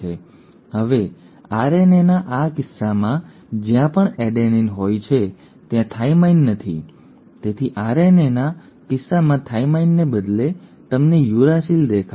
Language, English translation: Gujarati, Now in case of RNA, wherever there is an adenine, there is no thymine so instead of thymine in case of RNA you will see a uracil